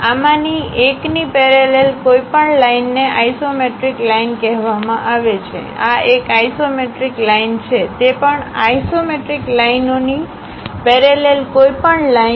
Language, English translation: Gujarati, Any line parallel to one of these edges is called isometric lines; this is one isometric line, any line parallel to that also isometric lines